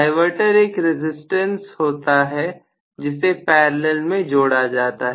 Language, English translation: Hindi, So, the diverter actually is a resistance which will be connected in parallel